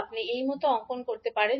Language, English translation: Bengali, You can draw like this